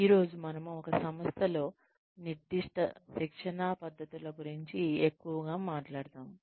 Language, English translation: Telugu, Today, we will talk more about, the specific training techniques, in an organization